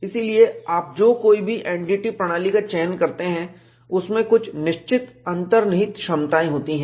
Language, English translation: Hindi, So, whatever the NDT methodology that you select, it has certain inherent capabilities